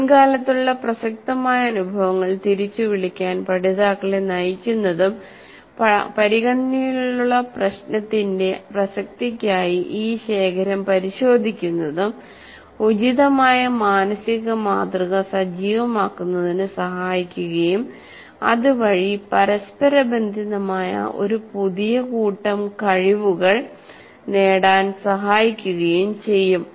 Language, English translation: Malayalam, Directing learners to recall past relevant experience and checking this recollection for relevance to the problem under consideration are more likely to activate appropriate mental model that facilitates the acquisition of new set of interrelated skills